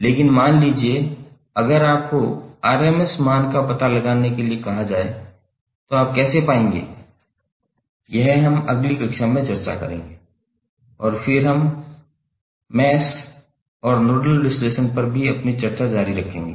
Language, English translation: Hindi, But suppose if you are asked to find out the RMS value how you will find that we will discuss in the next class and then we will continue with our discussion on Mesh and Nodal analysis